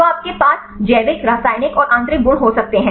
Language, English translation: Hindi, So, you can have the biological, chemical and intrinsic properties right